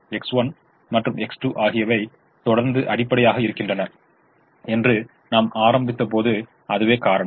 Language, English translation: Tamil, that is the reason when we started we said: assume that x one and x two continue to be basic at some point